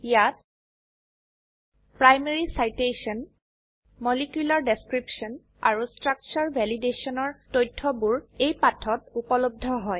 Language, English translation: Assamese, Information like * Primary Citation * Molecular Description and * Structure Validationare available on this page